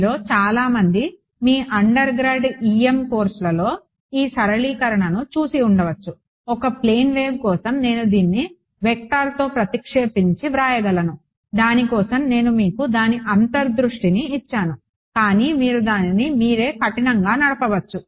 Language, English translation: Telugu, Many of you may have seen this simplification in your undergrad EM course that for a plane wave I can replace this del cross by just a minus j k vector I just gave you the intuition for it, but you can drive it rigorously yourself ok